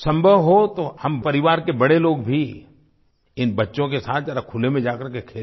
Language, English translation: Hindi, If possible, we can make the elder family members accompany these children to the playground and play with them